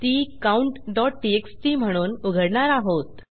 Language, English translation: Marathi, Ill open that as count.txt because thats what it is